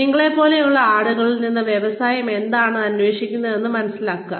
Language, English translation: Malayalam, Understand, what the industry is looking for, from people like you